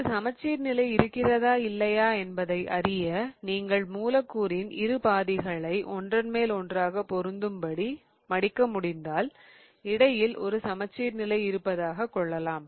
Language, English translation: Tamil, In order to know if there is a plane of symmetry or not, you kind of just imagine that if you can fold the molecule on top of itself because if you can do that then there exists a plane of symmetry in between